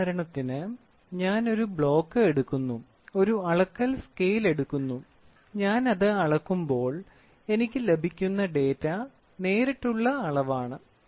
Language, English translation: Malayalam, For example, I try to take a block, I try to take a measuring scale, measure it, what data I get is direct